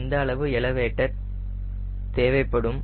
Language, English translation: Tamil, so how much elevator i need to give up